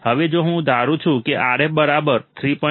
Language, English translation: Gujarati, Now, if I assume that Rf equals to 3